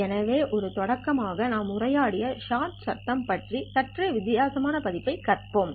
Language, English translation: Tamil, So as a start I would start with a slightly different version of the short noise that we have talked about